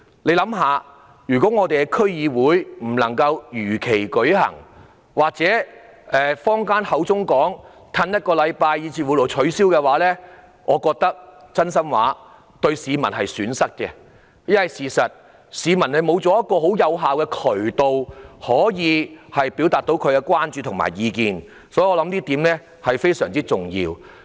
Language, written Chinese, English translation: Cantonese, 試想想，如果區議會選舉未能如期舉行，或是如坊間所說要押後一星期甚至取消，我覺得是市民的損失，因為市民失去了有效的渠道表達他們的關注和意見，這是非常重要的。, Just imagine if the DC Election cannot be held as scheduled or has to be postponed for a week or even called off as people have suggested I would consider it a loss to the public because they may lose an effective channel to express their concerns and views which is very important